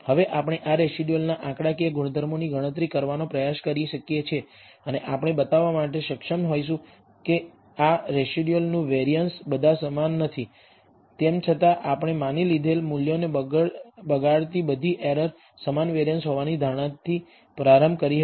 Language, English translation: Gujarati, Now we can try to compute the statistical properties of these residuals, and we will be able to show that the variance of these residuals are not all identical, even though we started with the assumption that all errors corrupting the measured values have the same variance